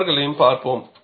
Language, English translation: Tamil, We will see them also